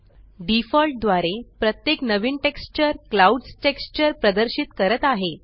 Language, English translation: Marathi, By default, every new texture displays the clouds texture